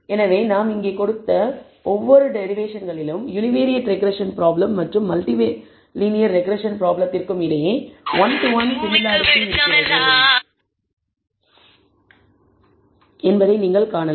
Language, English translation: Tamil, So, you can see a one to one similarity between the univariate regression problem and the multi multiple linear regression problem in every derivation that we have given here